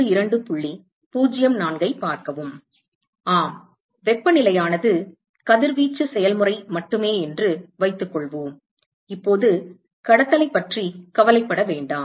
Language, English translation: Tamil, Yeah, let us assume that the temp there is only radiation process, let us not worry about conduction right now